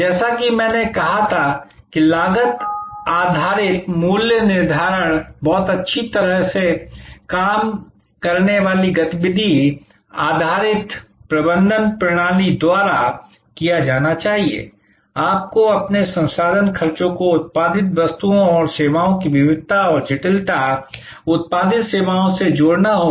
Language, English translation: Hindi, A cost based pricing as I said should be done by very well worked out activity based management system, you have to link your resource expenses to the variety and complexity of goods and services produced, services produced